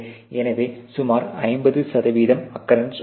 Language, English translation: Tamil, So, there is about 50 percent occurrence